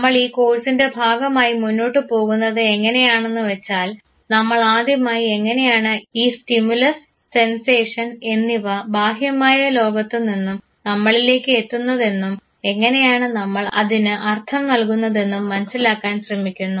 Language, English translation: Malayalam, The way we are proceeding as part of this very course is that we have first try to understand how this stimulus how the sensation from the external world reaches us, how we try to assign meaning to it